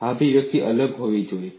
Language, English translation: Gujarati, This expression has to be different